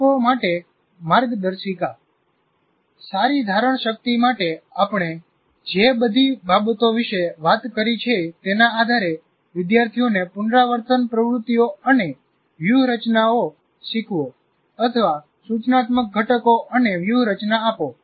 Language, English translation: Gujarati, Now guidelines to teachers based on all the things that we have now talked about, for good retention, teach students rehearsal activities and strategies or give the instructional components and strategies